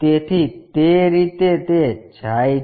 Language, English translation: Gujarati, So, it goes in that way